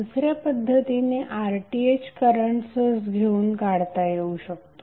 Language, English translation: Marathi, Alternatively the RTh can also be measured by inserting a current source